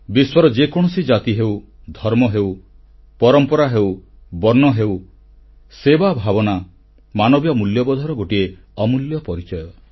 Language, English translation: Odia, Be it any religion, caste or creed, tradition or colour in this world; the spirit of service is an invaluable hallmark of the highest human values